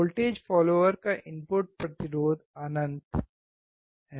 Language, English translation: Hindi, The input resistance of the voltage follower is infinite